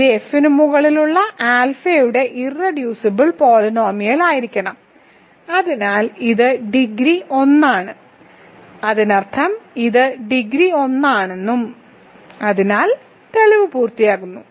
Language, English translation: Malayalam, So, it must be the irreducible polynomial of alpha over F hence it is degree is 1, that means it is degree is 1 so that finishes the proof